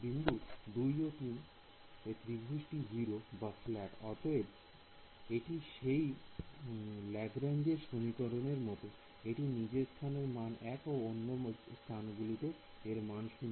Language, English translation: Bengali, At node 2 and 3 0 at the triangle fall flat; so, this is like that Lagrange polynomial of the first order case, it has its value 1 at its own location and 0 at the other node